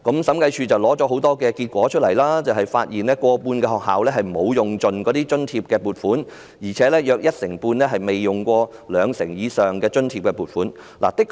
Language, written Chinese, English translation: Cantonese, 審計署的審查顯示，過半數學校沒有盡用津貼撥款，約一成半更未動用兩成以上的津貼撥款。, The audit conducted by the Audit Commission showed that more than half of the schools had not fully utilized the grant and about 15 % had not utilized more than 20 % of the grant